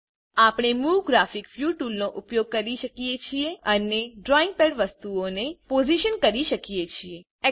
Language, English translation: Gujarati, We can use the Move Graphics View tool and position the drawing pad objects